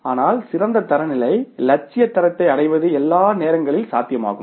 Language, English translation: Tamil, But ideal standard to attain ideal standard is not possible all the times